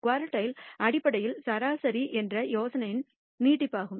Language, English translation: Tamil, Quartiles are basically an extension of the idea of median